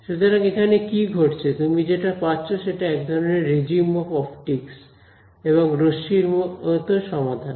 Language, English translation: Bengali, So, what happens over here is you get this is a regime of optics; and you get ray like solutions right ok